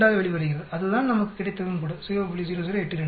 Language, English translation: Tamil, 0082 that is what we also got it right 0